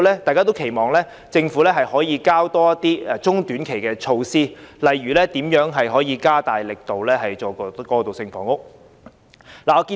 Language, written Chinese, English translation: Cantonese, 大家都期望政府可以提出更多中短期措施，例如加大力度推行過渡性房屋。, Everyone expects that the Government can put forward more medium - and short - term measures eg . strengthening its efforts in promoting the construction of transitional housing